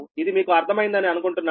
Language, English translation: Telugu, i hope you have understood this right